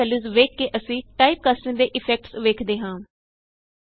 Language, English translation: Punjabi, Looking at the two values we see the effects of typecasting